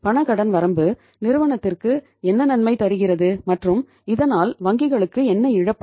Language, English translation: Tamil, Cash credit limit and what is the benefit to the firm and what is the loss to the bank